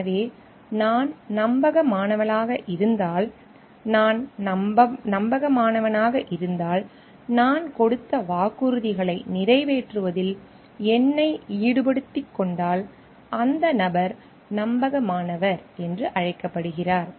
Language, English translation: Tamil, So, if I am reliable, if I am trustworthy if I engage myself to fulfil the promises that have made, so that person is called reliable